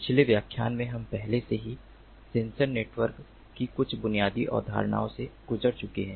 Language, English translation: Hindi, in the previous lecture we have already gone through some of the basic concepts of sensor networks